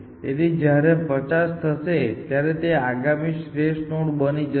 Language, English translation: Gujarati, So, when this is 50, this will become the next best node essentially